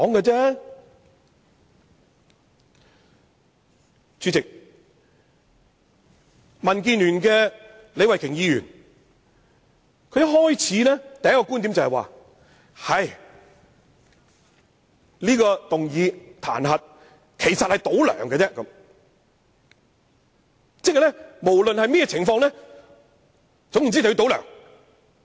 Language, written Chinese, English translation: Cantonese, 主席，民建聯的李慧琼議員的第一個觀點是，這項彈劾議案其實是"倒梁"而已，反對派無論如何都要"倒梁"。, President the first argument of Ms Starry LEE of the Democratic Alliance for the Betterment and Progress of Hong Kong is that this impeachment motion merely aims at toppling LEUNG Chun - ying and the opposition camp aims to topple LEUNG Chun - ying in any event